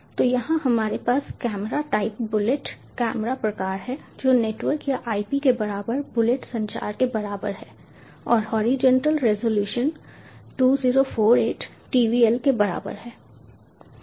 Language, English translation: Hindi, so here we have camera type: bullet, camera type [equ/equal] equal to bullet, communication equal to network or ip, and horizontal resolution equal to zero four, eight tvl